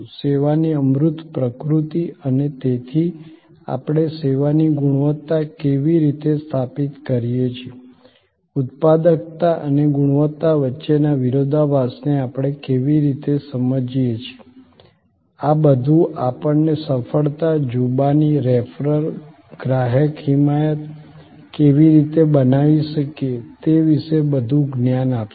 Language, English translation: Gujarati, The intangible nature of service and therefore, how do we establish quality of service, how do we understand the paradox between productivity and quality, all these will give us further knowledge about how we can create success, testimony, referral, customer advocacy